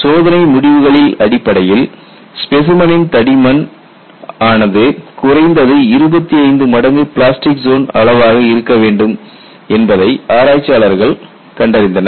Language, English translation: Tamil, And based on experimental observation, people found that the specimen thickness should be at least 25 times of this plastic zone size